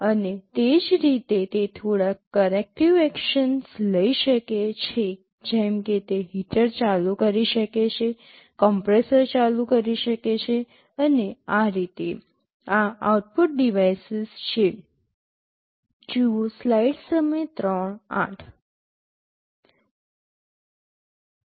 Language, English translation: Gujarati, And similarly it can take some corrective action like it can turn on a heater, turn on the compressor, and so on; these are the output devices